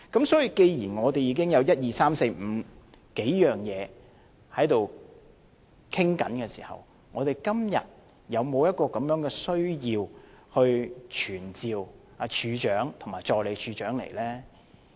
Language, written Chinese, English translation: Cantonese, 所以，既然我們已經循數個渠道在跟進，我們今天是否有需要傳召懲教署署長及助理署長來立法會呢？, Hence since we already have a few channels to follow up on the subject matter do we really need to summon the Commissioner of Correctional Services and the Assistant Commissioner of Correctional Services to attend before the Council?